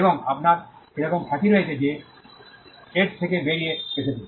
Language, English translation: Bengali, And you have some kind of reputation that is come out of it